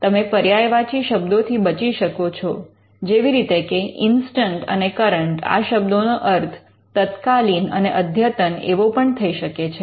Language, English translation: Gujarati, Now you would avoid synonyms for instant, current can also mean present or upto date